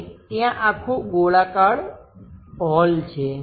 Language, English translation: Gujarati, And there is a whole circular hole